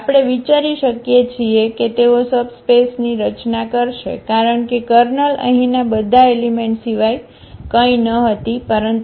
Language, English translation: Gujarati, We can think that they will form a subspace because the kernel was nothing but all the elements here which maps to 0